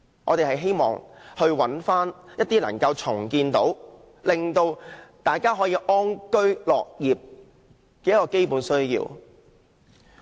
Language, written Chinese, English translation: Cantonese, 我們希望尋回一些能夠令大家安居樂業的基本設施。, We hope that some basic facilities which will bring peace and contentment to the people can be provided to them again